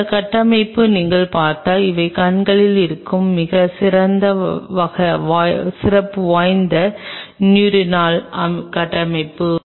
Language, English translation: Tamil, If you look at this structure these are very specialized neuronal structures present in the eyes